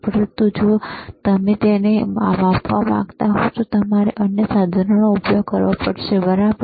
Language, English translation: Gujarati, But if you want to measure it, then you have to use another equipment, all right